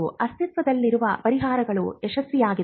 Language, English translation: Kannada, Have the existing solutions been successful